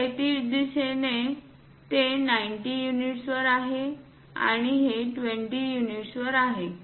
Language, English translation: Marathi, In the horizontal direction it is at 90 units and this is at 20 units